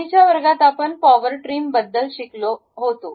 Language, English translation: Marathi, In the last class, we have learned about Power Trim